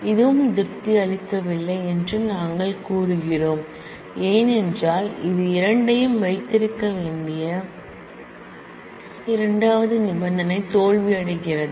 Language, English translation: Tamil, We say this also does not satisfy, because it fails the second condition both have to hold